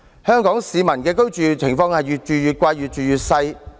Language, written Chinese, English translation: Cantonese, 香港市民的居住情況是越住越貴，越住越細。, Hong Kong people are faced with the problems of paying more for smaller housing units